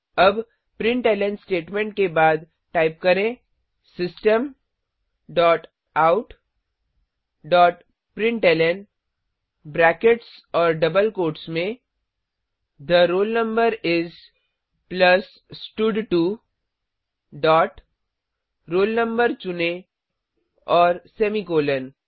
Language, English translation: Hindi, Now after the println statements, type System dot out dot println within brackets and double quotes The roll number is, plus stud2 dot select roll no and semicolon